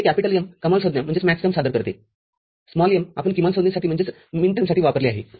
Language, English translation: Marathi, This capital M represents maxterm, small m we have used for minterm